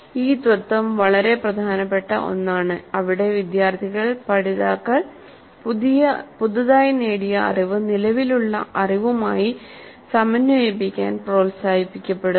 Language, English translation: Malayalam, So this principle is a very important principle where the students, the learners are encouraged to integrate their newly acquired knowledge with the existing knowledge